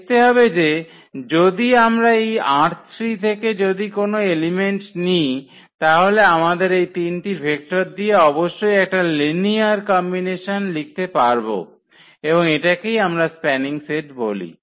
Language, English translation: Bengali, That if we take any element of this R 3 any element of this R 3, then we must be able to write down as a linear combination of these three vectors and that is what we mean this spanning set